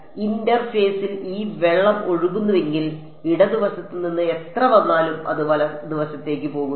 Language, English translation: Malayalam, So, if this water flowing across in the interface, how much comes from the left that much goes into the right